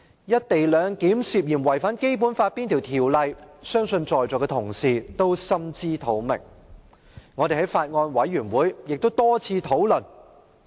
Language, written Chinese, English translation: Cantonese, "一地兩檢"涉嫌違反《基本法》哪些條文，相信在座同事均心知肚明，我們在法案委員會會議上也曾多次討論。, I believe all Honourable colleagues sitting here know very well which articles of the Basic Law the co - location arrangement is suspected of contravening and we have discussed this time and again at the meetings of the Bills Committee